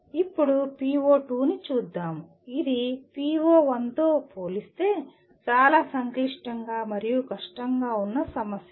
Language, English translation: Telugu, Now coming to PO2 which is lot more complex and difficult compared to PO1